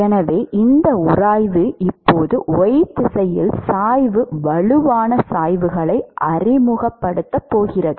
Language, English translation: Tamil, Therefore, this friction is now going to introduce gradients strong gradients in the y direction right